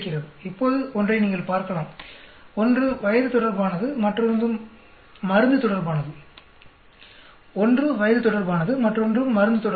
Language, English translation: Tamil, Now, you can look at one is related to age, another one is related to drug; one is related to the age, another one is related to the drug